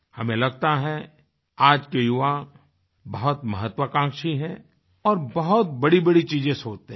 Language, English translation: Hindi, We feel that the youths are very ambitious today and they plan big